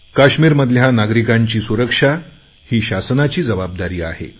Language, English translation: Marathi, Providing security to people in Kashmir is the responsibility of the administration